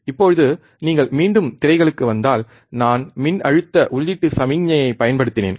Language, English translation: Tamil, Now, if you come back to the screens, I have, I know I much applied I have applied voltage input signal